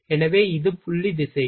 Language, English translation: Tamil, So, this is the point directions